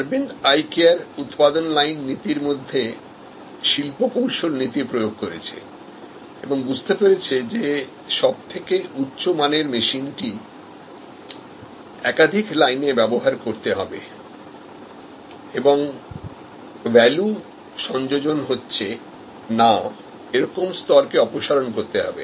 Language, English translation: Bengali, So, Aravind Eye Care adopted industrial engineering principles to some extend production line principles and understood that the most high value machine has to be feat through multiple lines and non value adding stop should be removed